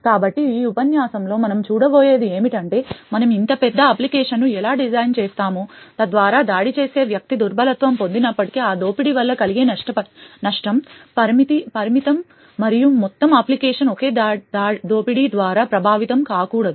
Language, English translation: Telugu, So what we will look at in this lecture is how we design such large application so that even if a vulnerability gets exploited by an attacker, the amount of damage that can be caused by that exploit is limited and the entire application would should not be affected by that single exploit